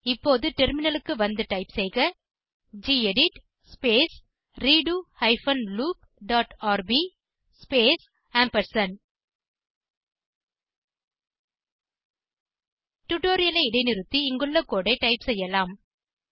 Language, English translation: Tamil, Now let us switch to the terminal and type gedit space redo hyphen loop dot rb space You can pause the tutorial, and type the code as we go through it